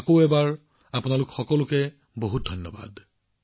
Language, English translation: Assamese, Once again, many thanks to all of you